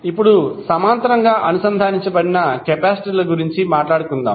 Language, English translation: Telugu, Now, let us talk about the capacitors which are connected in parallel